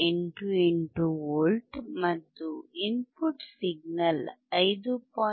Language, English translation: Kannada, 88V, and the input signal is 5